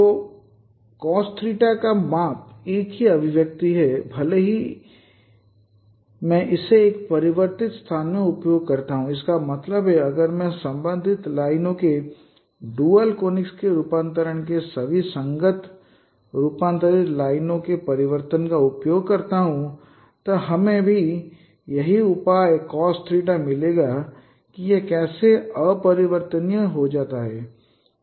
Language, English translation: Hindi, So the measurement of cost theta, the same expressions, even if I use this in the transformed space, that means if I use all the corresponding transformed lines, transformation of dual conics, transformation of corresponding lines, then also we will get the same major cost theta